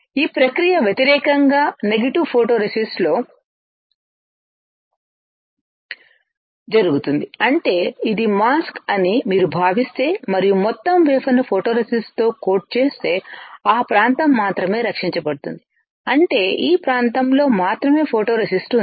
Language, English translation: Telugu, In negative photoresist opposite of this phenomena will take place; that means, if you consider that this is a mask and the whole wafer is coated with photoresist then only that area will be protected; that means, only this area has photoresist